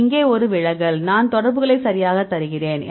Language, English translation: Tamil, This is a deviation here I give the correlation right